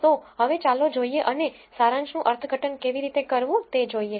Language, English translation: Gujarati, So, now, let us go and see how to interpret the summary